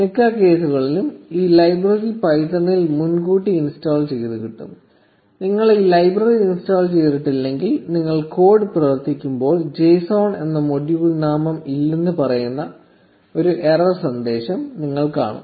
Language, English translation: Malayalam, In most cases, this library comes preinstalled in python; if you do not have this library installed, you will see an error message saying no module name ‘json’ when you run the code